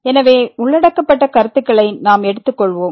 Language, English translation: Tamil, So, let us go through the concepts covered